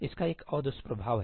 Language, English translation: Hindi, There is another side effect of that